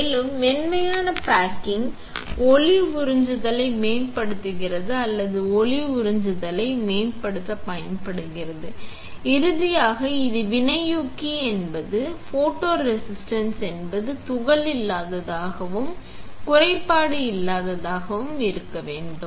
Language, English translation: Tamil, Also, soft baking will improve the light absorbance or optimizes the light absorbance, and finally, this; the catalyst is the photoresist should be that it should be particle free and defect free